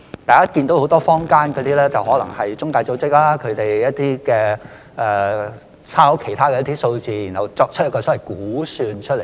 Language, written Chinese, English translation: Cantonese, 大家看到坊間有很多中介組織，可能是引述一些數字然後作出一個所謂估算而已。, We can see that there are many intermediaries in the community which may simply quote some figures and then make a so - called projection